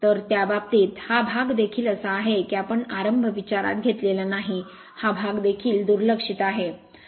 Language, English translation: Marathi, So, in that case this part is also we have not considered start this is this part is also neglected